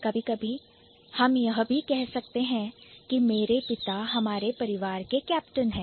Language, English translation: Hindi, Even sometimes we also say, oh my god, my father is the captain of our family